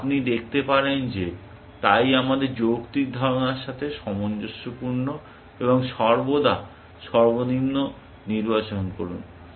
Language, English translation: Bengali, You can see that, so also consistent with our logical notion of, and always choose is the minimum